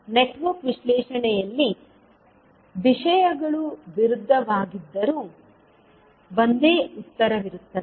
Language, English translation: Kannada, While in Network Analysis the things are opposite, there will be only one answer